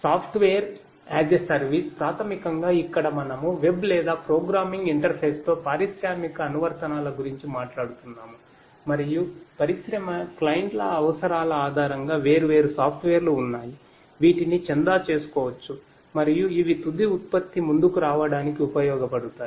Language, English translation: Telugu, Software as a service basically over here we are talking about industrial applications with web or programming interface and based on the requirements of the industry clients, there are different software that could be used can subscribe to and these will serve for coming up with the final product